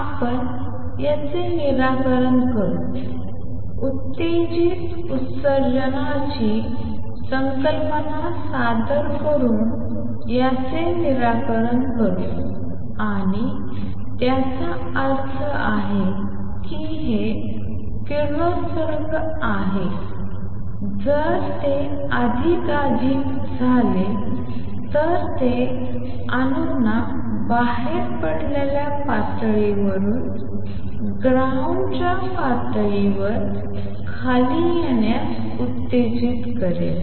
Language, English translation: Marathi, We resolve this, resolve this by introducing the concept of stimulated emission and what that means, is that this radiation which is there if it becomes more and more it will also stimulate atoms to come down from a exited level to ground level